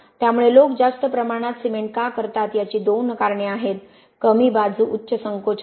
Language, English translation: Marathi, So that is why two reasons why people do high amount of cement, the downside high shrinkage